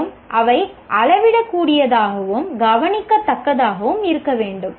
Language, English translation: Tamil, And also it should be measurable